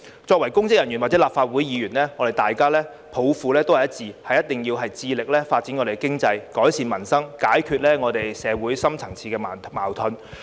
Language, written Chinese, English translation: Cantonese, 作為公職人員或立法會議員，大家抱負都是一致，致力發展經濟、改善民生，解決社會深層次矛盾。, As public officers or Legislative Council Members we all share the same vision of developing the economy improving peoples livelihood and resolving deep - rooted conflicts in society